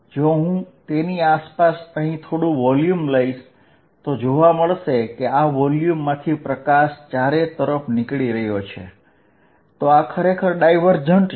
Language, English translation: Gujarati, If I take a small volume around it and see the light going out of this volume all over the light is going out, so this is really divergent